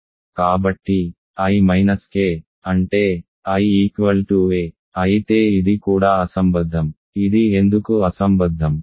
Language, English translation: Telugu, So, i minus k, but; that means, i equal to a, but this is also absurd right, why is it absurd